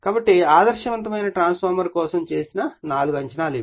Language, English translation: Telugu, So, these are the 4 assumptions you have made for an ideal transformer